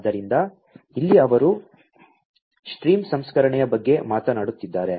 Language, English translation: Kannada, So, here they are talking about stream processing